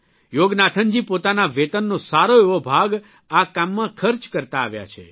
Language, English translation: Gujarati, Yoganathanji has been spending a big chunk of his salary towards this work